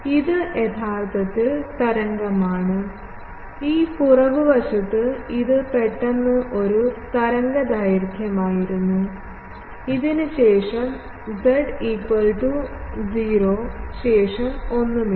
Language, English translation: Malayalam, It is the wave actually, this backside it was a waveguide suddenly, after this at z is equal to 0 nothing is there